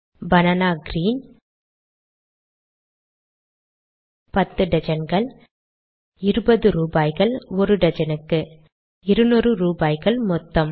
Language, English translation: Tamil, Banana green 10 dozens 20 rupees a dozen and 200 rupees total